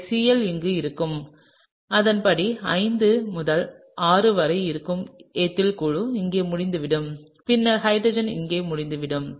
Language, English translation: Tamil, And so, the Cl would be here and accordingly the ethyl group that is between 5 and 6 would be over here and then the hydrogen is going to be over here, alright